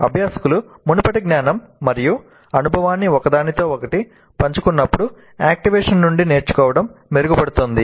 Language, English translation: Telugu, Learning from activation is enhanced when learners share previous knowledge and experience with one another